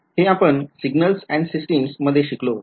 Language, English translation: Marathi, Again we study this in signals and systems